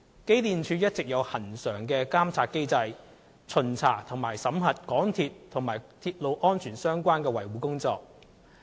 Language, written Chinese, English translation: Cantonese, 機電署一直有恆常的監察機制，巡查及審核港鐵與鐵路安全相關的維修保養工作。, EMSD has always had a regular monitoring mechanism for the inspection and supervisory audits of MTRCLs repair and maintenance works relating to railway safety